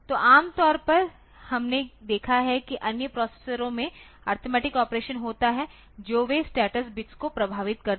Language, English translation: Hindi, So, normally we have seen that in other processors is arithmetic operation they affect the status bits um